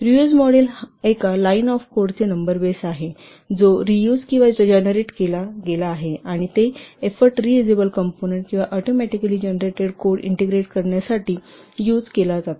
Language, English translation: Marathi, Reuse model is based on number of lines of code that is reused or generated and it is used for effort to integrate reusable components or automatically generated code